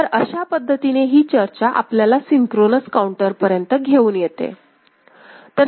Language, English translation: Marathi, Now, this brings up, brings us to the discussion on synchronous counter ok